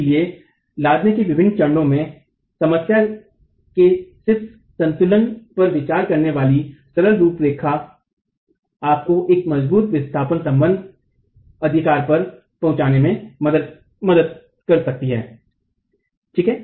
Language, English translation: Hindi, So a simple framework considering just the equilibrium of the problem at different stages of loading can help you arrive at a forced displacement relationship